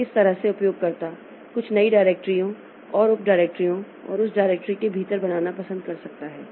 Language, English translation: Hindi, So, that way user may like to create some new directories and subdirectors and within that directory so they can like to create or create some file etc